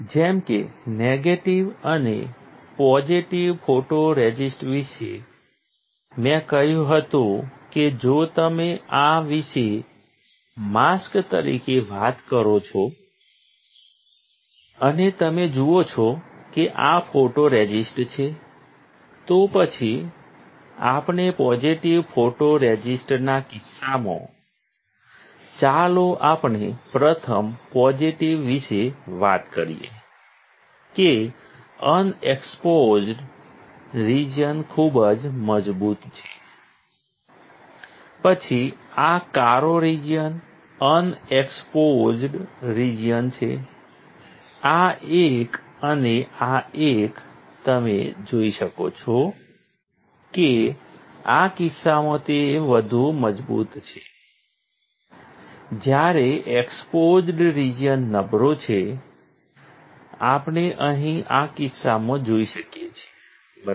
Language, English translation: Gujarati, About negative and positive photoresist like I said the if you talk about this as a mask, and you see these are photoresist, then if we; in case of positive photoresist let us talk about first positive, the unexposed region is stronger, then unexposed region is this black region, this one and this one, you can see it is stronger in this case while the exposed region is weaker, we can see here in this case, correct